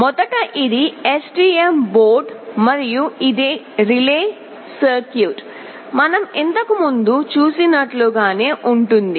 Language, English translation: Telugu, First this is the STM board, and this is relay circuit that is the same as we had seen earlier